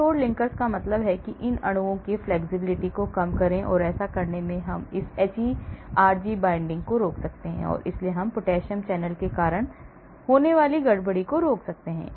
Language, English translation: Hindi, rigidify linkers that means reduce flexibility of these molecules and so by doing that we can prevent this hERG binding and hence we can prevent the disturbance caused to the potassium channel